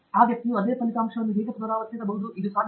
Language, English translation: Kannada, How can I reproduce the same result that this person has, is it even possible